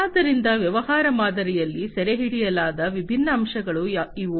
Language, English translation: Kannada, So, these are the different aspects that are captured in a business model